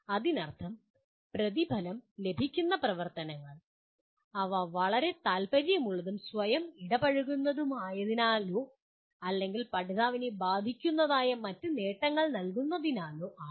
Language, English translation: Malayalam, That means activities that are amply rewarded, either because they are very interesting and engaging in themselves or because they feed into other achievements that concern the learner